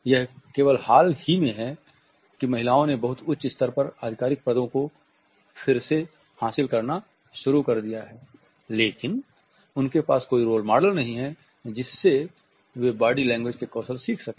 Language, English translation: Hindi, It is only recent that women have started to wield positions of authority at a much higher level; they do not have any role models from whom they can learn skills in body language